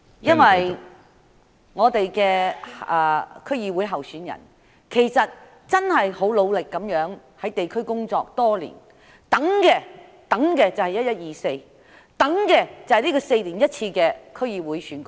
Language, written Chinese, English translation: Cantonese, 民建聯的區議會候選人真的很努力在地區工作了多年，他們等的就是11月24日，等這4年一次的區議會選舉。, DAB candidates for the DC Election have worked very hard in the districts over the years . All they are waiting for is 24 November the day on which the once - every - four - years DC Election is held